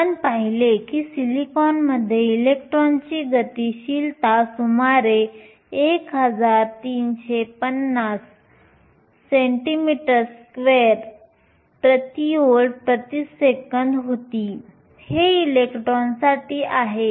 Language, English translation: Marathi, We saw that the mobility of an electron in silicon was around 1350 centimeter square per volt per second, this is for silicon